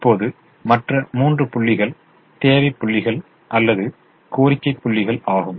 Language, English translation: Tamil, now the other three points are the requirement points, are the demand points